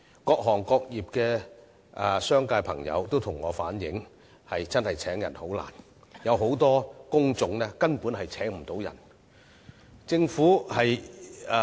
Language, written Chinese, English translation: Cantonese, 各行各業的商界朋友均向我反映聘請員工真的十分困難，而且很多工種根本無法聘請人手。, Many businessmen from various trades and industries have told me that it is really very difficult to recruit employees . Moreover many types of jobs can simply not recruit manpower